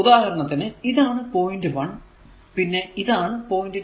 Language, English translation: Malayalam, So, here it is point 1 it is 1 and 2 this is a lamp